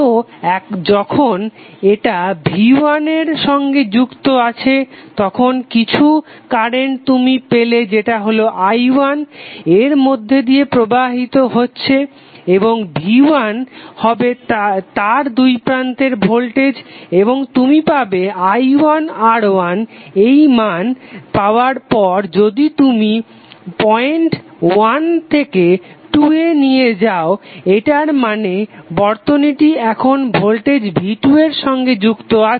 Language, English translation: Bengali, So now when it is connected to V1 then you will have some current i1 flowing through it and the V1 will be across it and you will get I1 into R after getting this value if you switch over from point 1 to point 2 it means that now it is connected to voltage V2